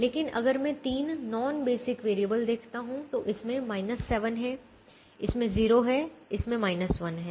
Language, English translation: Hindi, but if i look at the three non basic variables, this has a minus seven, this has a zero, this has a minus one